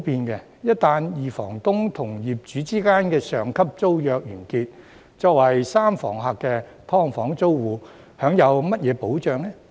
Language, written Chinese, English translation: Cantonese, 一旦二房東與業主之間的上級租約完結，作為三房客的"劏房"租戶享有甚麼保障呢？, Following the termination of a superior tenancy between the main tenant and the landlord what protection can the sub - tenants of the SDUs enjoy?